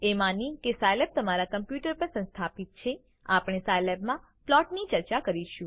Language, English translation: Gujarati, Assuming that Scilab is installed on your computer, we will discuss plots in Scilab